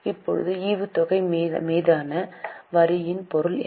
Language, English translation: Tamil, Now, what is the meaning of tax on dividend